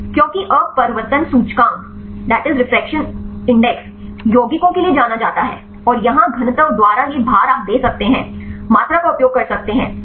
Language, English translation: Hindi, Because refraction index is known for the compounds and here this weight by density you can give, use the volume